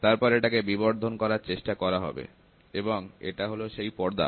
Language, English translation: Bengali, So, then it tries to magnify and this is the screen